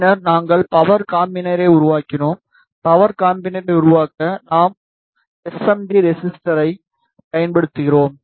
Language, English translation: Tamil, Then we made the power combiner; to make the power combiner we use the SMD resistor